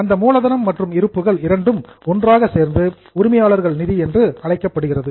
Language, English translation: Tamil, That capital plus reserve together is known as owners fund